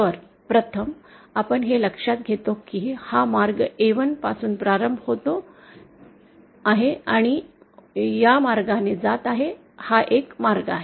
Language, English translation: Marathi, So, 1st we note that this is the path, starting from A1, going like this, this is one path